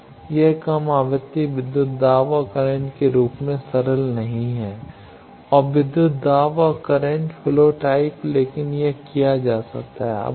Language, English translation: Hindi, It is not as simple as the low frequency voltage and current and voltage and current flow type but it can be done